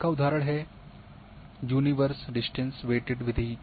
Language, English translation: Hindi, And example is universe distance waited method